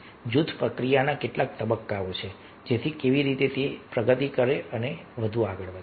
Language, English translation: Gujarati, so these are some of the stages of the group process, progression, how the group progresses